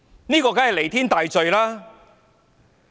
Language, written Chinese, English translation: Cantonese, 這當然是彌天大罪。, This is of course the most heinous of crimes